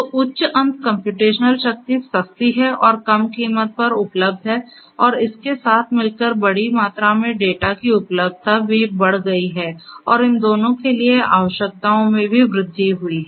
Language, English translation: Hindi, So, high end computational power cheaper, but available at low cost and coupled with that the amount of large amounts of data have the availability of that data has also increased and the requirements for both of these has also increased